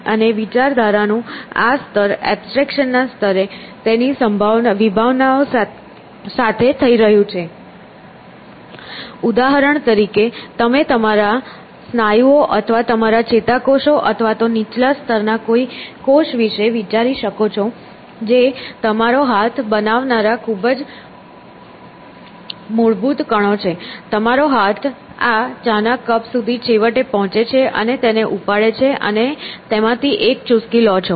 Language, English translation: Gujarati, And this level of thinking which is happening with its concepts at this level of abstraction is eventually driving at one level; you might say my muscles or my nerve cells or something at even lower level you might say the very fundamental particles which make up my hand, for example; in such a manner that my hand eventually reaches out for that cup of tea and pick it up and you know take a sip from it essentially